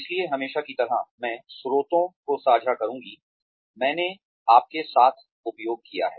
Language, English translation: Hindi, So again, as always, I will share the sources, I have used with you